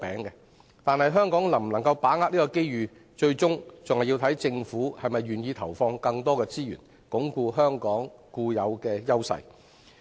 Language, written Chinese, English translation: Cantonese, 然而，香港能否把握這個機遇，最終視乎政府是否願意投放更多資源，鞏固香港固有的優勢。, However the Governments willingness to deploy more resources to reinforce our inherent strengths will ultimately determine whether Hong Kong can capitalize on this opportunity